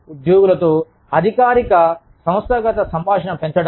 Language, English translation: Telugu, Increasing formal organizational communication with employees